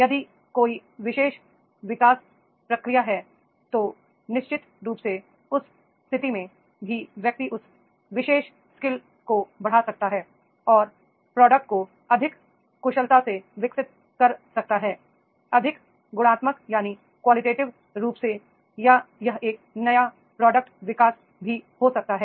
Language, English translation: Hindi, If there is a particular development process then definitely in that case also the person can enhance that particular skill and develop a product more efficiently, more effectively, more qualitatively or it can be a new product development also, so that is also possible